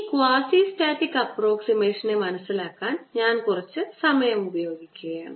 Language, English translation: Malayalam, so i want to spend some time in understanding this quasistatic approximation